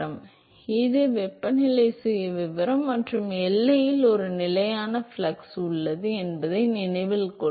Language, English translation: Tamil, So, note that this is the temperature profile and there is a constant flux at the boundary